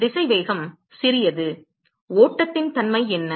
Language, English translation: Tamil, Come on velocity is small what is the nature of the flow